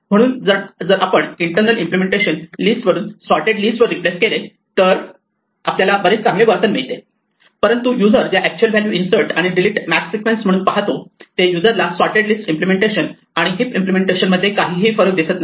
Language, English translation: Marathi, So if we replace the internal implementation from a sorted list to a heap we get better behavior, but in terms of the actual values that the user sees as a sequence of inserts and delete max the user does not see any difference between the sorted list implementation and the heap implementation